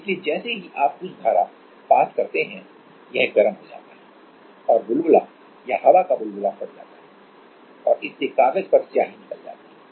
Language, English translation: Hindi, So, as you pass some current it heats up and the bubble or the air bubble burst and that shoots out the ink on the paper